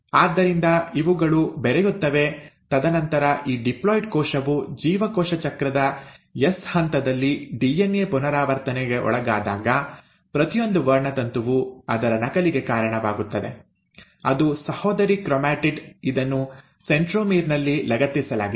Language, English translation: Kannada, And then when this diploid cell undergoes DNA replication at the S phase of cell cycle, each of the chromosome will then give rise to its copy, that is a sister chromatid, it has attached at the centromere